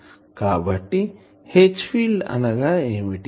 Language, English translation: Telugu, So, what is the H field